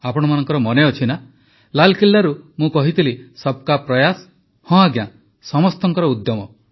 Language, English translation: Odia, And I'm sure you remember what I had said from Red Fort, "Sabka Prayas"…Yes…collective endeavour